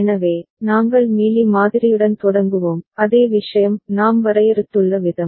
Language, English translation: Tamil, So, we start with Mealy model ok, the same thing that we the way we have defined